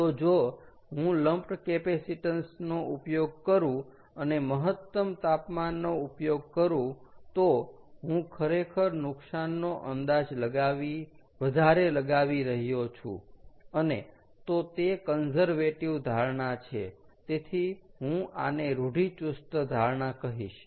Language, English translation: Gujarati, so if i use lump capacitance and use the maximum temperature, then i am actually over estimating the losses and therefore its a conservative assumption, clear